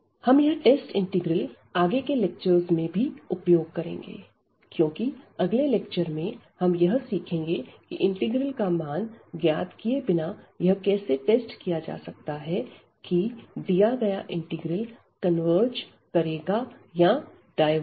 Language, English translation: Hindi, So, we can evaluate those integrals, but in the next lecture we will see that how to how to find without evaluating whether the integral converges or it diverges